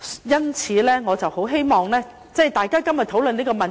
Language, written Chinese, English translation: Cantonese, 因此，我很希望大家今天討論這問題時......, In this connection I very much hope that when Members discuss this issue today Actually it is impossible not to involve these issues